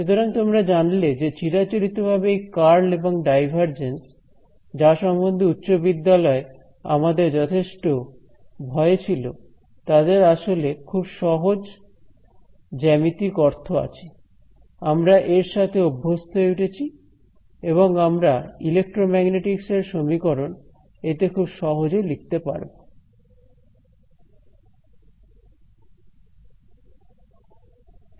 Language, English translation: Bengali, So, you know these are traditionally terms like the curl and the divergence are terms which in high school we were very afraid of, but you can see that they have very simple geometrical meanings, we get comfortable with it we can write our equation of electromagnetics in it very easily